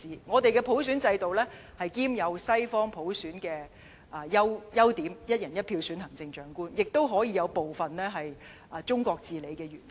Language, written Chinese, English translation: Cantonese, 我們的普選制度兼有西方普選的優點，即"一人一票"普選行政長官，也可以有部分中國治理的元素。, The universal suffrage system of ours combines the merits of those in the West where the Chief Executive will be popularly elected under one person one vote while preserving certain elements under the governance of China